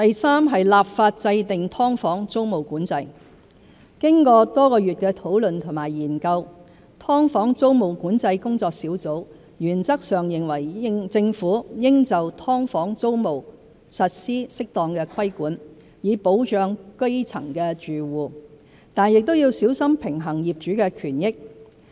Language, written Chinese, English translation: Cantonese, 三立法制訂"劏房"租務管制經過多月來的討論和研究，"劏房"租務管制研究工作小組原則上認為政府應就"劏房"租務實施適當規管，以保障基層住戶，但亦要小心平衡業主的權益。, 3 Enactment of legislation to impose the tenancy control of subdivided units After months of discussions and study the Task Force for the Study on Tenancy Control of Subdivided Units agrees in principle that the Government should implement suitable tenancy control on subdivided units to safeguard the interests of grass - roots tenants while carefully balancing the interests of landlords